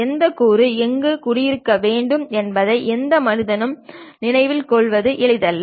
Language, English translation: Tamil, It is not easy for any human being to remember which components supposed to go where and so on